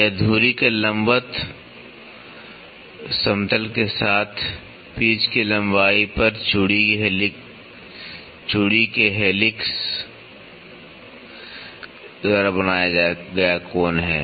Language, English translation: Hindi, It is the angle made by the helix of the thread, at the pitch length with the plane perpendicular to the axis